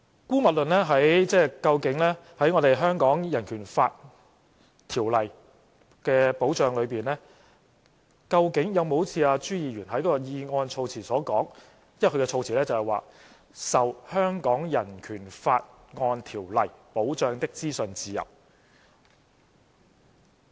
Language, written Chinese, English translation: Cantonese, 姑勿論在《香港人權法案條例》的保障裏，究竟有沒有好像朱議員在議案措辭所說的保障，因為他所用的措辭是"受《香港人權法案條例》保障的資訊自由"。, Let us set aside whether the protection described by the wording in Mr CHUs motion really exists as one of protections provided for in the Hong Kong Bill of Rights Ordinance―because his wording is the freedom of information protected by the Hong Kong Bill of Rights Ordinance